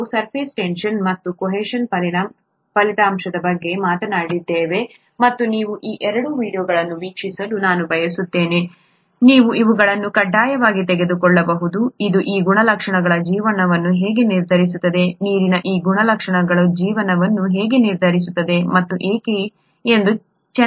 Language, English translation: Kannada, We talked of surface tension and so on as an outcome of cohesion, and I would like you to watch these two videos, you can take these as compulsory, which explain nicely how these properties determine life, how these properties of water determine life and why water is such an important molecule which makes life possible, okay